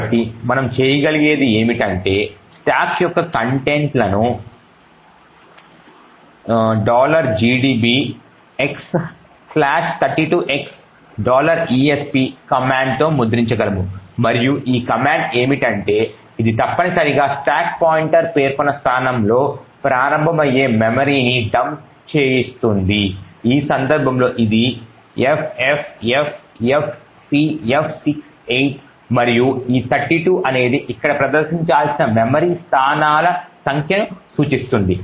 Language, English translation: Telugu, the contents of the stack with a command like this x slash 32x dollar esp and what this command does is that it essentially dumps the memory starting at the location specified by the stack pointer which in this case is ffffcf68 and this 32 over here indicates a number of memory locations that needs to be displayed